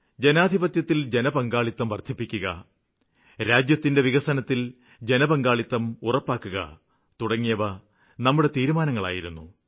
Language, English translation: Malayalam, Our pledge was to promote citizen participation in democracy and connect every citizen in the development work